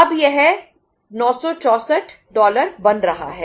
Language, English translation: Hindi, Now it is becoming dollar 964